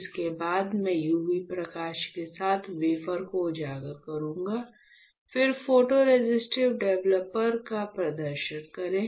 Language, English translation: Hindi, So, after this I will expose the wafer with UV light; then perform photoresist developer